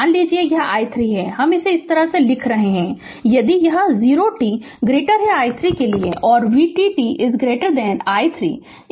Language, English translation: Hindi, Suppose, this voltage we are writing like this if it is 0 t less than t 0 and v 0 t greater than t 0 you are writing like this